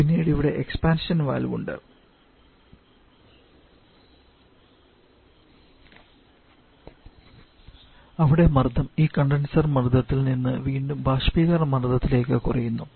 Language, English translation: Malayalam, The stream is higher concentration than you have higher expansion valve where the pressure again falls from this condensor pressure level back to the evaporator pressure level